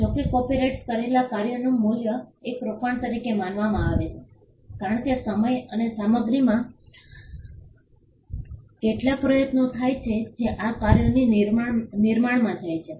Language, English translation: Gujarati, However, the value in a copyrighted work is regarded as an investment because, there is some amount of effort in time and material that goes into creation of these works